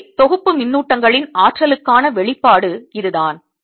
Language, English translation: Tamil, so that is the expression for the energy of an assembly of charges